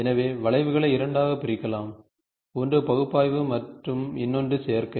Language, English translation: Tamil, So, curves can be divided into two, one is analytical and another one is synthetic